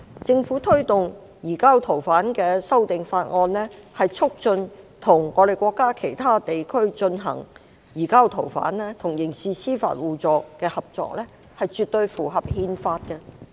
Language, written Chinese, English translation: Cantonese, 政府推動移交逃犯的修訂法案，促進與國家其他地區進行移交逃犯與刑事司法互助的合作，絕對符合憲法。, The governments amendment bill to promote cooperation with other parts of the country in surrender of fugitives and mutual assistance in criminal justice is absolutely in line with the Constitution